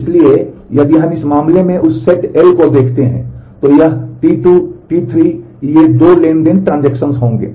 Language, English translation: Hindi, So, if we look at that set L in this case, then it will be T 2, T 3 these two transactions